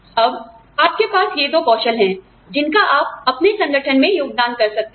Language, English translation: Hindi, Now you have these two skills, that you can contribute, to your organization